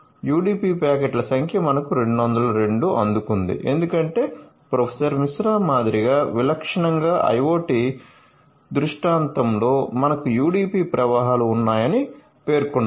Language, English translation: Telugu, So, number of UDP packet in we have received 202 because typical as Professor MR mentioned that typically in IoT scenario you have UDP flows